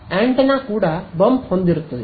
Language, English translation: Kannada, the antenna also will have a bump